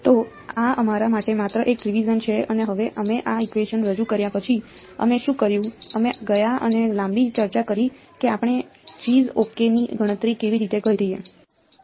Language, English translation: Gujarati, So, this is just a revision for you and now the after we introduced these equations what did we do we went and had a long discussion how do we calculate g’s ok